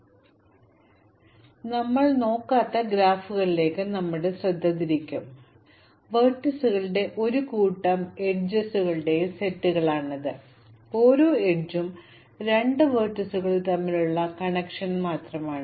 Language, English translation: Malayalam, So we have been looking at unweighted graphs, that is sets of vertices and sets of edges where each edge is just a connection between two vertices